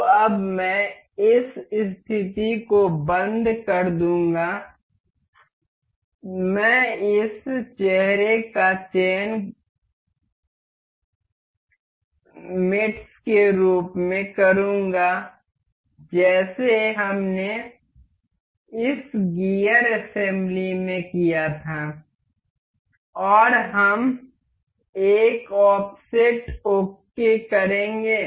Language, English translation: Hindi, So, now, I will lock this position I will make select this face face to mate as we did in this gear assembly and we will make an offset click ok